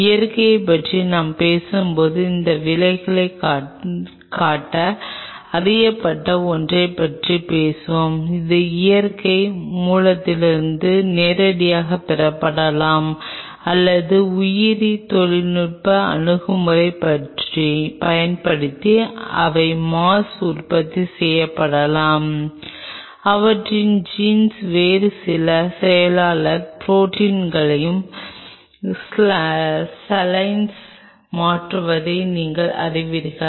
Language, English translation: Tamil, When we talk about Natural we will talk about the one which are known to show this effect either this could be obtained from natural sources directly or using biotechnological approach they could be produced in mass by you know transferring their jeans into some other secretary proteins saline’s where you can produce them